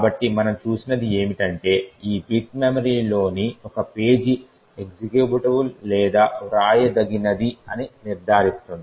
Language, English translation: Telugu, So, what we have seen is that, this bit would ensure that a particular page in memory is either executable or is writeable